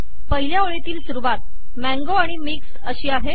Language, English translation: Marathi, In the first line, the entries are mango and mixed